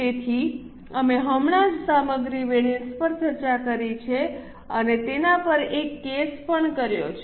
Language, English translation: Gujarati, So, we have just discussed material variances and also done one case on it